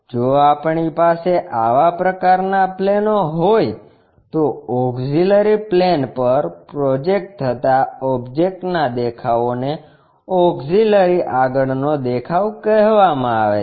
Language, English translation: Gujarati, If we have such kind of planes, the views of the object projected on the auxiliary plane is called auxiliary front view